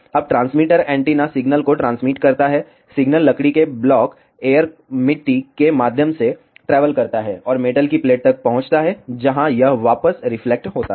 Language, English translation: Hindi, Now, the transmitter antenna transmits the signal the signal travels through the wooden block air soil and reaches the metal plate where it gets reflected back